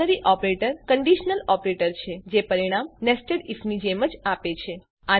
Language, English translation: Gujarati, Ternary Operator is a conditional operator providing results similar to nested if